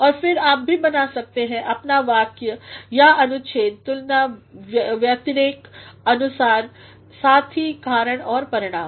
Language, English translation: Hindi, And then you can also create your sentences or your paragraph on the basis of comparison contrast as well as cause and effect